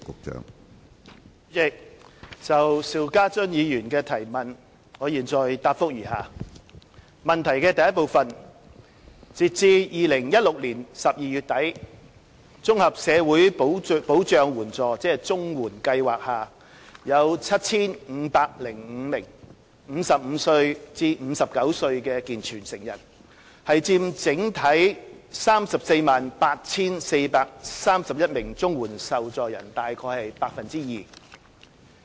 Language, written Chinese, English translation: Cantonese, 主席，就邵家臻議員的質詢，我現答覆如下：一截至2016年12月底，綜合社會保障援助計劃下有 7,505 名55至59歲健全成人，佔整體 348,431 名綜援受助人約 2%。, President my reply to Mr SHIU Ka - chuns question is as follows 1 As at end - December 2016 there were a total of 7 505 able - bodied adult recipients aged between 55 and 59 under the Comprehensive Social Security Assistance CSSA Scheme representing about 2 % of the overall 348 431 recipients under the Scheme